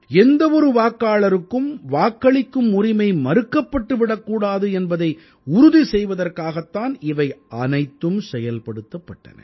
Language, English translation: Tamil, All this was done, just to ensure that no voter was deprived of his or her voting rights